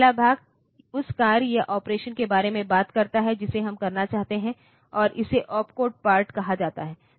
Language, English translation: Hindi, The first part talks about the task or operation that we want to perform, and this is called the opcode part